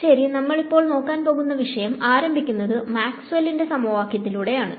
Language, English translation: Malayalam, We will start at today’s lecture with a review of Maxwell’s equations